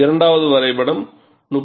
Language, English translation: Tamil, The second graph is for 31